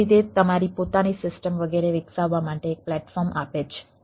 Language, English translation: Gujarati, so its gives a platform to develop the develop your own system, etcetera